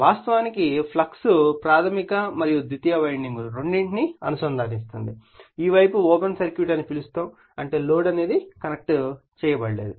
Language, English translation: Telugu, And we and the flux we will link actually both the primary as well as the secondary winding when this side is your what you call open circuited right that means load is not connected